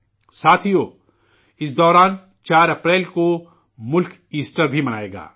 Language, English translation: Urdu, Friends, during this time on April 4, the country will also celebrate Easter